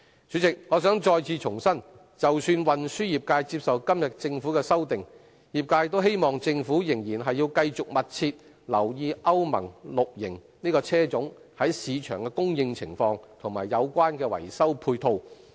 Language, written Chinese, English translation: Cantonese, 主席，我想再次重申，即使運輸業界接受政府今天的修訂，業界也希望政府繼續密切留意歐盟 VI 期車種在市場的供應情況，以及有關的維修配套。, President I wish to reiterate that even if the transport trades accept the amendments introduced by the Government today the trades hope the Government will continue to keep a close eye on the market supply of Euro VI models and the associated repair facility requirements